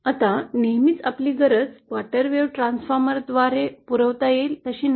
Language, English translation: Marathi, Now always our requirement may not be same as that what is, what can be provided by quarter wave transformer